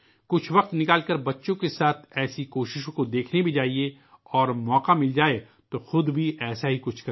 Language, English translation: Urdu, Take out some time and go to see such efforts with children and if you get the opportunity, do something like this yourself